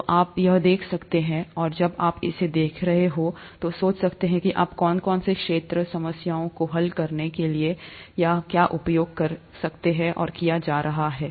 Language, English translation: Hindi, So you may want to watch this, and while you are watching this, think of what all fields of yours are being used here to solve these problems